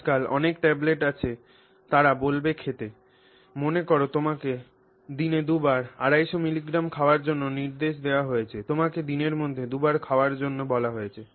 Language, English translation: Bengali, So, therefore, many tablets these days they will say, you know, supposing you were instructed to take 250 milligrams twice a day